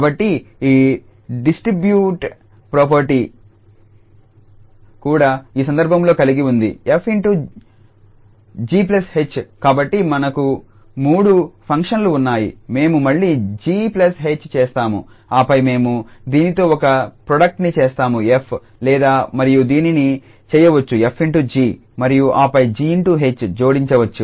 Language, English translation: Telugu, So, this distributive property also holds in this case that f star g plus h so we have three functions again so g plus h we do and then we make a product with this f or we can do this f star g and then plus f star h